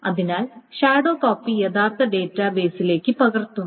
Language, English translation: Malayalam, So then the shadow copy is the actual database